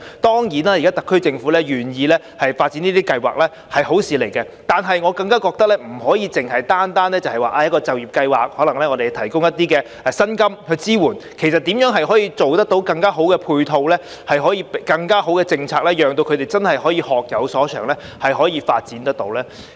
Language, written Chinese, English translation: Cantonese, 當然，現時特區政府願意發展這些計劃是好事，但我更覺得不能單靠一個就業計劃，我們可能提供薪金支持，其實如何能把配套做得更好及制訂更好的政策，讓他們可以真正學有所長及有所發展才是更重要。, Of course it is really good for the SAR Government to be willing to launch schemes like this one but I consider that we should not only rely on one scheme . We may also provide the salary support . Actually it is more important to find the way to improve the supporting measures and formulate better policies so as to allow them to bring what they have learnt into full play and to have the real opportunity for development